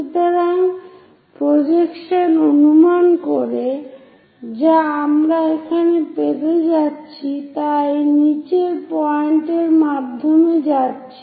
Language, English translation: Bengali, So, the projection projections what we are going to get here goes via these bottom most points